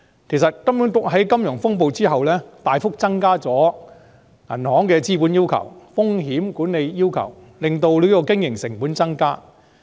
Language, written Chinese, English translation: Cantonese, 其實，金管局在金融風暴之後大幅增加了銀行的資本要求和風險管理要求，使銀行經營成本增加。, In fact HKMAs significant tightening of the capital requirements and risk management requirements on banks in the wake of the financial storm has resulted in higher operating costs for banks